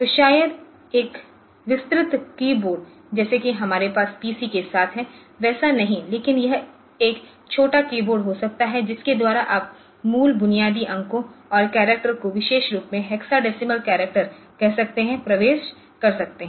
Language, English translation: Hindi, So, may not be a detailed keyboard like that we have with the PCs, but it may be a small keyboard by which you can enter the basic, basic digits of a basic digits and say characters particularly the hexadecimal characters ok